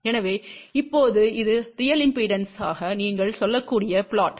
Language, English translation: Tamil, So, now this is the plot you can say for real impedance